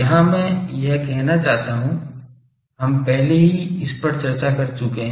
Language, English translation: Hindi, Here, I want to say that already we have discussed these